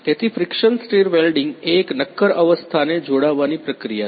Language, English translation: Gujarati, So, friction stir welding is a solid state joining process